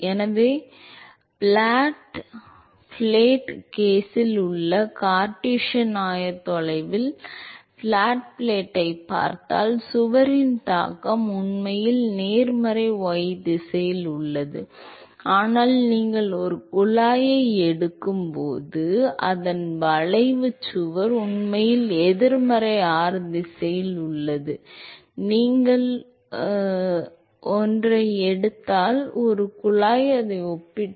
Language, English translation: Tamil, So, remember that in Cartesian coordinates in flat plate case flat plate case, if you look at the flat plate, the wall is actually the affect of the wall is actually in the positive y direction, but when you take a tube the effect of the wall is actually in the negative r direction, remember that if you take a, so compare that with a tube